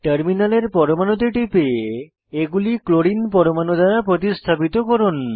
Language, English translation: Bengali, Click on the terminal atoms to replace them with Clorine atoms